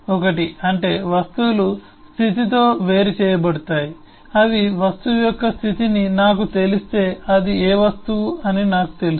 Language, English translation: Telugu, 1 is objects may be distinguishable by the state that they can say that if I know the state of the object, I know which object it is